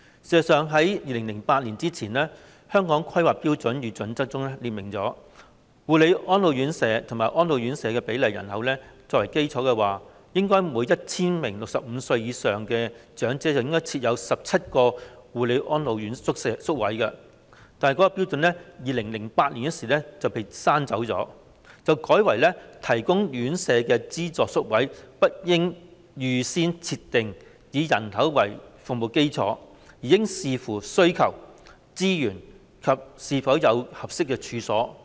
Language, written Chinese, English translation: Cantonese, 事實上 ，2008 年之前的《香港規劃標準與準則》中列明，護理安老院舍及安老院舍的比例以人口為基礎，應為每 1,000 名65歲或以上長者設有17個護理安老宿位，但是，這標準於2008年被刪去，並改為"提供院舍的資助宿位不應預先設定以人口為服務基礎，而應視乎需求、資源及是否有合適處所"。, In fact the Hong Kong Planning Standards and Guidelines before 2008 set out that the proportion of care and attention homes and elderly homes should be based on the population and should be 17 per 1 000 elderly people aged 65 or above . This standard however was deleted in 2008 and changed to The provision of subsidized places for residential care homes should not be pre - set on a population basis . It should depend on demand resources and availability of premises